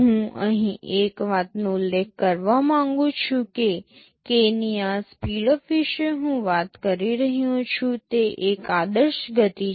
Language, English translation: Gujarati, Just one thing I want to mention here is that this speedup of k that I am talking about is an ideal speed up